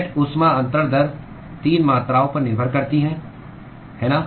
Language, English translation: Hindi, The net heat transfer rate depends upon 3 quantities, right